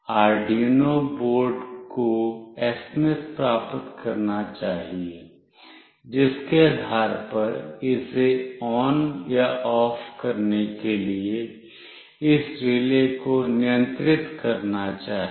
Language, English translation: Hindi, The Arduino board must receive the SMS, depending on which it should control this relay to make it ON or OFF